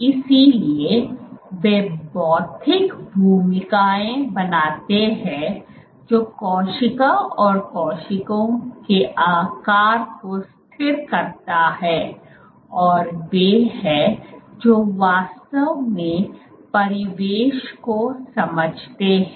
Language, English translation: Hindi, So, they form the physical role that is stabilize the cell or stabilize cell shape, and actually they are the ones which actually sense the surroundings